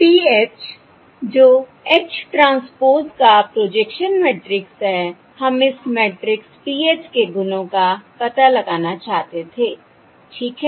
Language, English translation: Hindi, We want to compute the projection matrix, projection matrix of H transpose, which is given as PH equals H transpose H